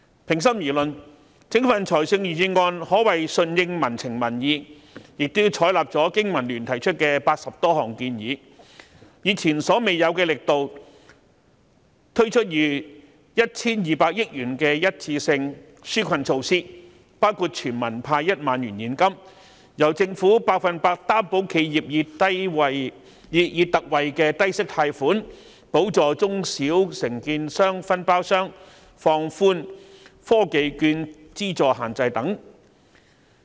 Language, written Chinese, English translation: Cantonese, 平心而論，整份預算案可謂順應民情民意，亦採納香港經濟民生聯盟提出的80多項建議，以前所未有的力度，推出逾 1,200 億元的一次性紓困措施，包括全民派1萬元現金、由政府百分之一百擔保企業以特惠的低息貸款，補助中小承建商、分包商和放寬科技券資助限制等。, It can be said in all fairness that the Budget as a whole goes along with public opinion and has taken on board the 80 or so proposals put forth by the Business and Professionals Alliance for Hong Kong BPA . In an unprecedented effort the Budget has introduced one - off relief measures costing 120 billion such as a cash handout of 10,000 to all Hong Kong citizens a concessionary low - interest loan applicable to small and medium contractors and subcontractors for which the Government will provide 100 % guarantee and a relaxation of the funding restrictions for technology vouchers